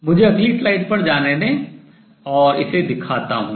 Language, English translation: Hindi, Let me go to the next slide and show this